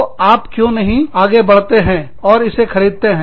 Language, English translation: Hindi, So, why do not you also go ahead, and buy it